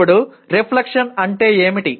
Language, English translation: Telugu, Now what is reflection